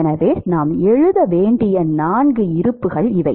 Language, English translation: Tamil, So, these are the four balances that we have to write